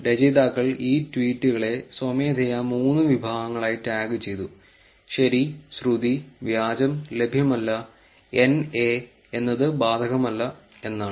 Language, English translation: Malayalam, Authors manually tagged these tweets in three categories true, rumour, fake and not available, NA stands for not applicable